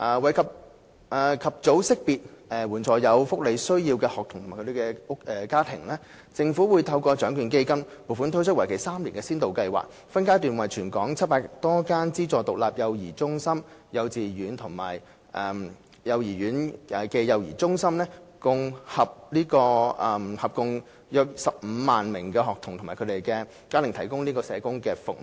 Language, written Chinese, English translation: Cantonese, 為及早識別及援助有福利需要的學童及其家庭，政府會透過獎券基金撥款推出為期3年的先導計劃，分階段為全港700多間資助獨立幼兒中心、幼稚園及幼稚園暨幼兒中心合共約15萬名學童及其家庭提供社工服務。, In order to facilitate the early identification of those children and their families with welfare needs and provide assistance to them the Government will launch a three - year pilot project through funding allocation from the Lotteries Fund to provide social work services in phases for around 150 000 children and their families in the 700 or so aided standalone child care centres kindergartens and kindergarten - cum - child care centres in Hong Kong